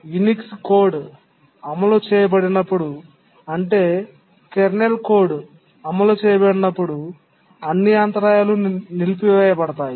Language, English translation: Telugu, When the Unix code is being executed, that is the kernel code is being executed, then all interrupts are disabled